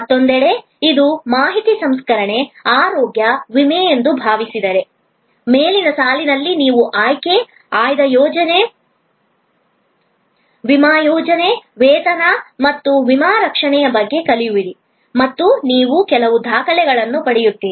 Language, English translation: Kannada, On the other hand, if suppose it is an information processing, health insurance, so the above the line will be you learn about option, select plan, insurance plan, pay and the insurance coverage starts and you get some documents, etc